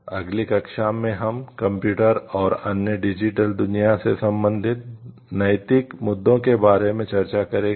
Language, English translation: Hindi, In the next class we will discuss about the ethical issues related to computers and the other digital world